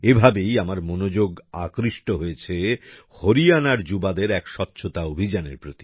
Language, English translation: Bengali, That's how my attention was drawn to a cleanliness campaign by the youth of Haryana